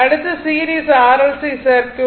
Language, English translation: Tamil, So, next is that series R L C circuit